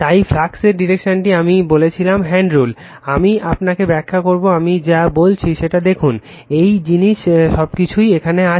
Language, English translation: Bengali, So, the direction of flux I told you the right hand rule, I will just explain you, you go through it whatever I said, same thing it everything it is here